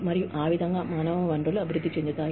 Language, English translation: Telugu, And, that is how, human resources develop